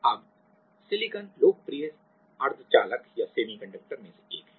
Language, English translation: Hindi, Now, the silicon is one of the popular semiconductor